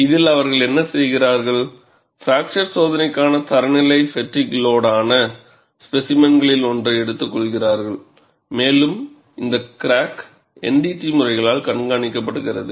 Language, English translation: Tamil, And in this, what they do is, they take one of the standard specimens for fracture testing, which is fatigue loaded and the crack is monitored by NDT methods